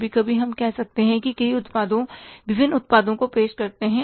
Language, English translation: Hindi, Sometimes we introduce many products, different products